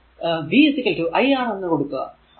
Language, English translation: Malayalam, And in that case v is equal to 0